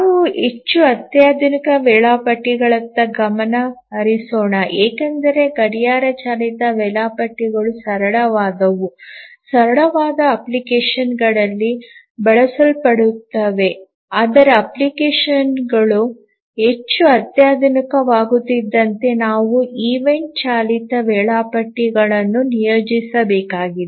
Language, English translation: Kannada, The clock driven schedulers are simple, used in simple applications, but as the applications become more sophisticated, we need to deploy the event driven schedulers